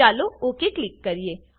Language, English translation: Gujarati, Lets click OK